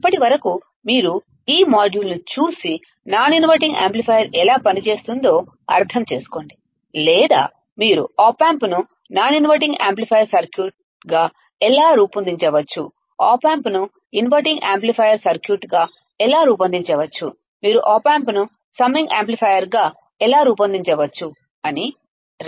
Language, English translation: Telugu, Till then you just look at this module understand how the non inverting amplifier works, or how you can design the opamp as a non inverting amplifier circuit, how you can design opamp as a inverting amplifier circuit, how you can design opamp as a summing amplifier all right